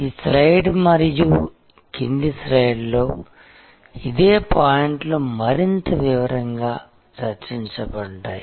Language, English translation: Telugu, This same points are discussed in more detail in this slide and the following slide